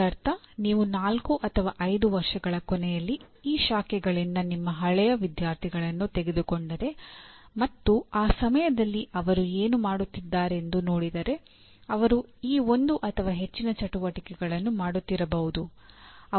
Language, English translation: Kannada, That means if you take your alumni from this branch at the end of four or five years, if you look at what they are at that time doing, they are doing one or more of these activities